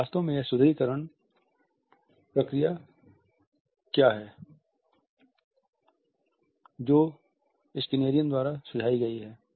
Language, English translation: Hindi, Now, what exactly is this reinforcement procedure which has been suggested by Skinnerian